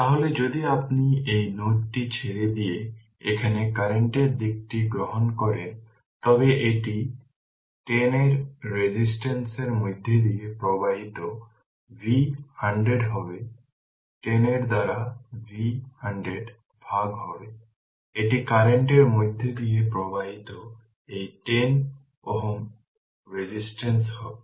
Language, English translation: Bengali, So, if it is so, then if you take that direction of the current here leaving this node right it will be V minus 100 by 10 current flowing through this 10 ohm resistance will be V minus 100 divided by 10, this is the current flowing through this 10 ohm resistance this [ou/outer] outer direction right